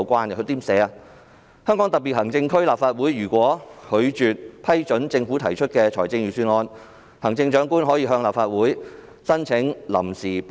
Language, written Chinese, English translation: Cantonese, 該條訂明，"香港特別行政區立法會如拒絕批准政府提出的財政預算案，行政長官可向立法會申請臨時撥款。, As the Article stipulates [i]f the Legislative Council of the Hong Kong Special Administrative Region refuses to pass the budget introduced by the government the Chief Executive may apply to the Legislative Council for provisional appropriations